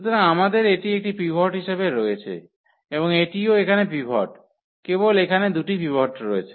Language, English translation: Bengali, So, we have this one as a pivot and this is also pivot here, only there are two pivots